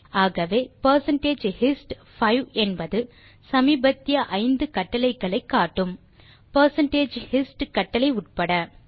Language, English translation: Tamil, Hence percentage hist 5 displays the recent 5 commands, inclusive of the percentage hist command that we gave